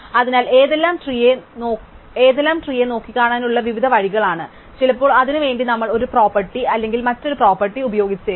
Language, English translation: Malayalam, So, these are various ways of looking at trees and sometimes we might use one property or another property